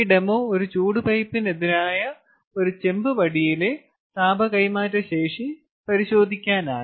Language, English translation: Malayalam, in this demo will examine the heat transfer capability of a copper rod versus a heat pipe